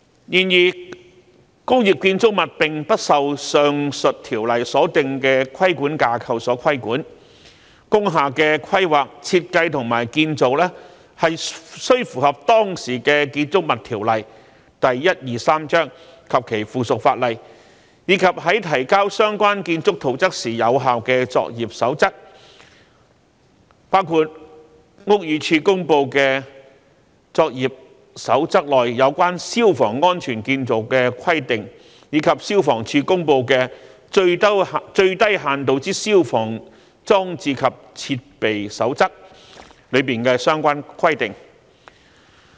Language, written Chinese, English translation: Cantonese, 然而，工業建築物並不受上述條例所訂的規管架構所規管，工廈的規劃、設計及建造須符合當時的《建築物條例》及其附屬法例，以及在提交相關建築圖則時有效的作業守則，包括屋宇署公布的作業守則內有關消防安全建造的規定，以及消防處公布的《最低限度之消防裝置及設備守則》裏的相關規定。, Industrial buildings however are not subject to the regulatory framework under the above Ordinances . The planning design and construction of an industrial building require compliance with the prevailing Buildings Ordinance Cap . 123 and its subsidiary legislation as well as the codes of practice in force at the time of submission of the relevant building plans including the requirements on fire safety construction as stipulated in the Codes of Practice published by the Buildings Department BD and the related requirements according to the Code of Practice on Minimum Fire Service Installations and Equipment published by the Fire Services Department FSD